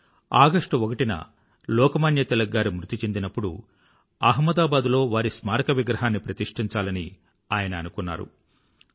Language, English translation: Telugu, When on August 1 1920, Lok Manya Tilakji passed away, Patel ji had decided then itself that he would build his statue in Ahmedabad